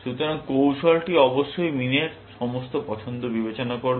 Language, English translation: Bengali, So, the strategy must consider all of min's choices